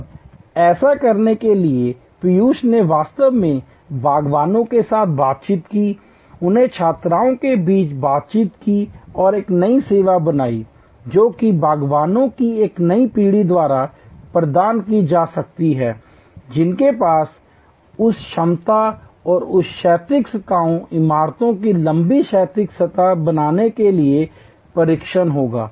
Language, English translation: Hindi, Now, to do this Piyush actually interacted with gardeners, interacted with other students and created a new service which can be provided by a new generation of gardeners who will have that competency and that training to create an horizontal surfaces, tall horizontal surfaces of buildings, beautiful gardens using almost waste material